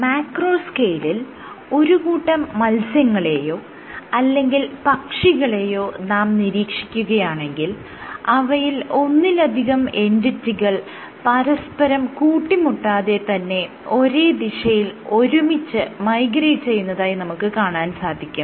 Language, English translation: Malayalam, At the macro scale if you look at school of fish or a flock of birds, so you again you have multiple entities which migrate together yet they do not clash into each other